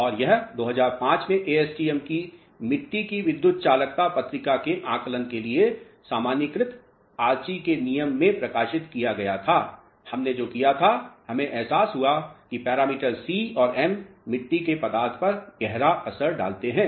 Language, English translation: Hindi, And this was published in generalized Archie’s law for estimation of soil electrical conductivity journal of ASTM in 2005, what we did is we realized that parameter c and m they have a strong bearing on clay content